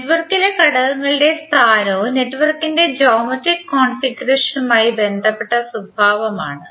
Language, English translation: Malayalam, The property is which is relating to the placement of elements in the network and the geometric configuration of the network